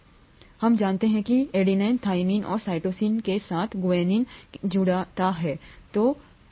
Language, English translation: Hindi, We know that adenine pairs up with thymine and guanine with cytosine